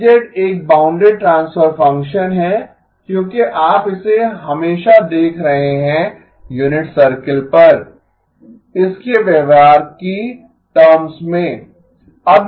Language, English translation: Hindi, H of z is a bounded transfer function because you are always looking at it in terms of its behavior on the unit circle